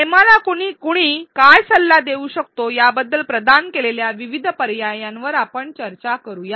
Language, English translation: Marathi, Let us discuss the various options provided as to what suggestions someone could have given Hema